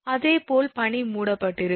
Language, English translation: Tamil, Similarly with ice when ice covered right